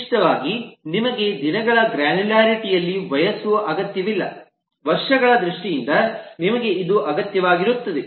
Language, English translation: Kannada, typically you do not need the age in the granularity of the days, you need it in terms of years, so one